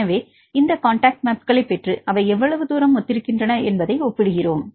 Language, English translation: Tamil, So, we get these contact maps and we compare how far the contacts maps are similar